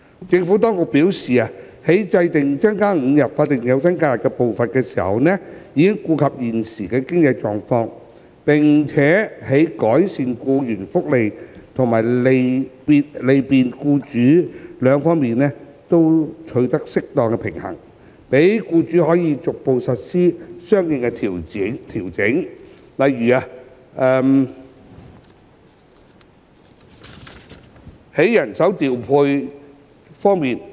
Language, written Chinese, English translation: Cantonese, 政府當局表示，在制訂增加5日法定假日的步伐時，已顧及現時的經濟情況，並在改善僱員福利和利便僱主兩方面取得適當平衡，讓僱主可逐步實施相應調整，例如人手調配。, The Administration advised that it had taken the present economic situation into account and struck an appropriate balance between improving employees benefits and bringing convenience to employers when determining the pace of increasing the five days of SH with a view to facilitating employers gradual implementation of the corresponding adjustments such as staff deployment